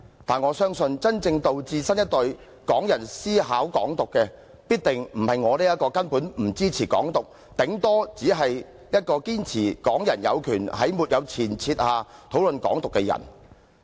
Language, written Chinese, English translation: Cantonese, 但是，我相信真正導致新一代港人思考"港獨"的，必定不是我這個根本不支持"港獨"，頂多只是一個堅持港人有權在沒有前設下討論"港獨"的人。, However I believe those people who will really make the new generation of Hong Kong people consider Hong Kong independence are definitely not people like me who do not support Hong Kong independence at all and who only insist at the most on Hong Kong peoples right to discuss Hong Kong independence without any presupposition